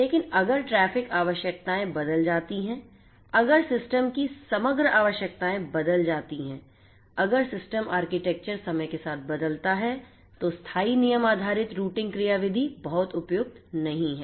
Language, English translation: Hindi, But if the traffic requirements change, if the overall requirements of the system changes, if the system architecture changes over time, then static rule based routing mechanisms are not very suitable this is just an example that I just gave you